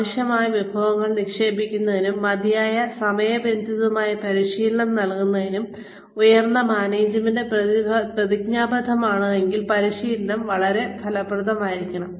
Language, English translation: Malayalam, Training can be very effective, if the top management commits, to invest the resources necessary, to provide adequate and timely training